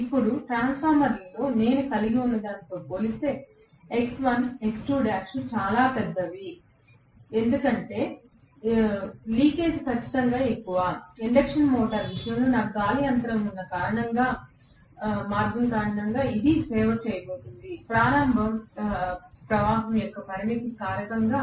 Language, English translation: Telugu, Now, X1 and X2 dash are quite large as compared to what I would have in a transformer because the leakage is definitely more, in the case of an induction motor because of the path that I have an air gap, so this is going to serve as the limiting factor of the starting current